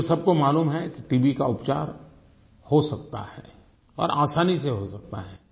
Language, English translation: Hindi, But now we are not scared of it because everybody knows TB is curable and can be easily cured